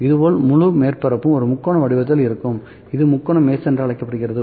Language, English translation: Tamil, Similarly, whole that the whole surface would be in the form of a triangle, this is known as triangle mesh